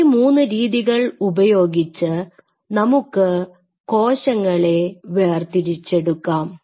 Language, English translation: Malayalam, So, we have 3 different techniques by virtue of which one can do a cell separation